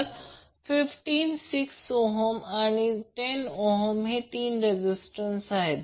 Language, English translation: Marathi, So 15, 6 ohm and 10 ohm are the resistors